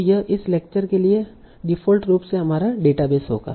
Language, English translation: Hindi, So this will be our database by default for this lecture and the next lecture